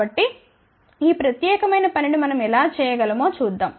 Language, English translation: Telugu, So, let us see how we can do this particular thing